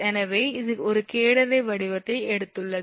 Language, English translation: Tamil, So, as it has taken a catenary shape